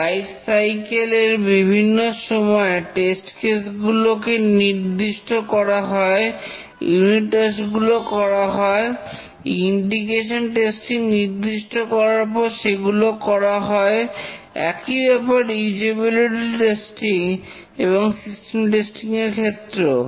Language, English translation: Bengali, At different time of the lifecycle, the test cases are defined, unit testing is conducted, integration testing defined, conducted, usability testing, system testing is defined and conducted